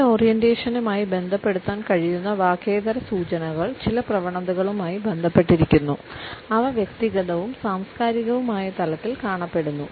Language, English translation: Malayalam, The non verbal clues which can be associated with this orientation are linked with certain tendencies which are exhibited in individual and it over cultures